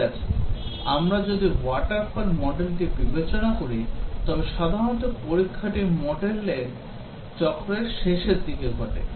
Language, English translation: Bengali, Okay, if we are considering water fall model of development then testing typically occurs towards the end of the development cycle